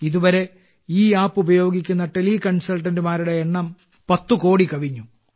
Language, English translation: Malayalam, Till now, the number of teleconsultants using this app has crossed the figure of 10 crores